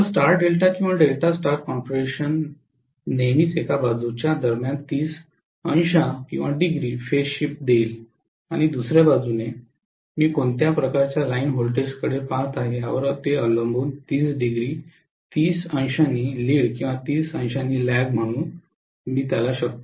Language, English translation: Marathi, So star delta or delta star configurations will always give me 30 degree phase shift between one side and the other I can say 30 degree lead or 30 degree lag depending upon what kind of line voltages I am looking at